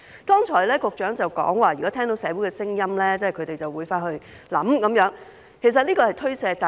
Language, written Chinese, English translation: Cantonese, 局長剛才說，如果聽到社會有聲音，他們便會回去想想，但這其實是推卸責任。, The Secretary said earlier that if they heard the community expressing their concerns they would go back and think about it . In fact they are shirking their responsibility